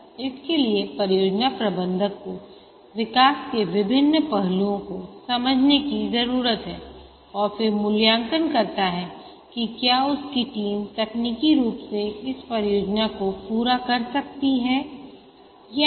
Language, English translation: Hindi, For this, the project manager needs to understand various aspects of the development to be undertaken and then assesses whether the team that he has, whether they can technically complete this project